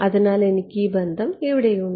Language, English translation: Malayalam, So, I have this relation over here